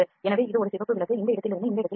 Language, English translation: Tamil, So, this is a red light that moves from this point to this point